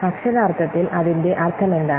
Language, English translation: Malayalam, So, literary what is meaning